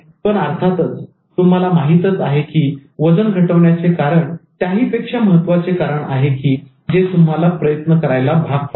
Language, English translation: Marathi, But obviously you will know that the reason for reducing weight is going to have more valid reasons that will try to compel you to taking that activity